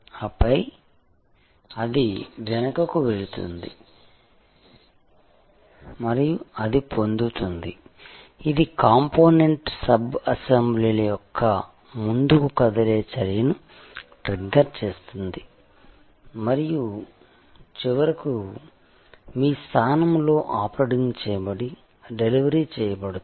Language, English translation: Telugu, And then, it will go backward and it will fetch, it will trigger a forward moving action of component sub assemblies all coming together and finally, getting delivered installed operated at your place